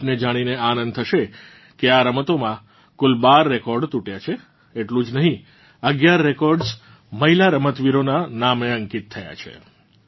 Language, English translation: Gujarati, You would love to know that a total of 12 records have been broken in these games not only that, 11 records have been registered in the names of female players